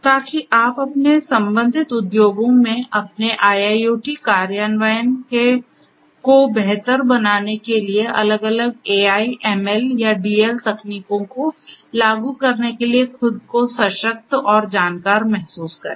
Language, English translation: Hindi, So, that you feel yourself empowered and knowledgeable in order to implement if required the different AI, ML or DL techniques for improving your IIoT implementations in your respective industries